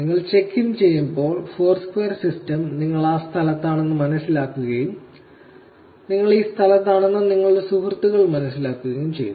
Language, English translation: Malayalam, When you check in, the Foursquare system understands that you are in that location and your friends get to know that you are in this location